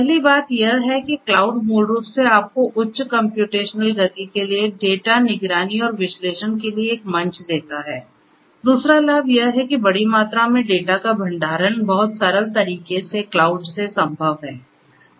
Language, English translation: Hindi, The first thing is that cloud basically gives you a platform for high computational speed, for data monitoring and analytics; second benefit is storage of large volumes of data is possible with cloud in a very simplest manner